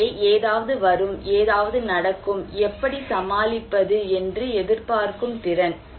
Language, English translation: Tamil, So, my capacity to anticipate that something will come, something will happen and to cope with